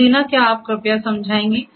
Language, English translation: Hindi, So, Deena could you please explain